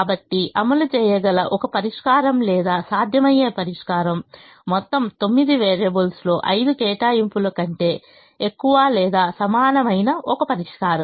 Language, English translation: Telugu, so a solution which can be implemented, or a solution that is feasible, is a solution that has greater than or equal to zero allocations for all the nine variables